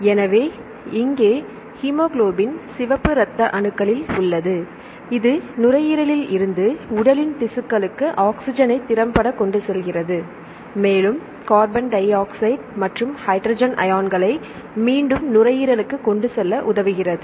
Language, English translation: Tamil, So, here hemoglobin is present in red blood cells right which efficiently carries the oxygen from the lungs to tissues of the body right then hemoglobin also helps in the transportation of the carbon dioxide and hydrogen ions back to the lungs